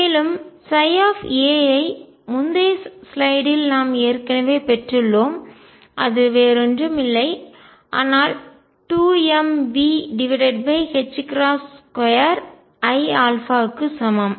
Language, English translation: Tamil, And psi at a we have already derived on the previous slide and that is nothing but is equal to 2 m V over h cross square i alpha